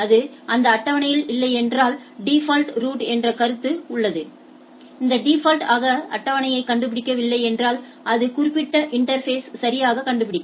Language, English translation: Tamil, If it is not in that table so there is a concept of default route if it is not finding on the table by default it will deduct to that particular interface right